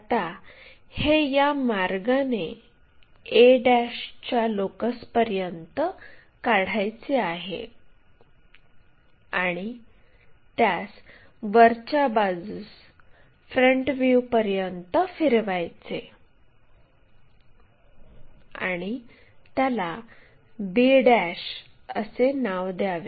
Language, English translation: Marathi, Now, we have to continue it to locus of a ' up to all the way there and rotate that upward up to the front view and name it b '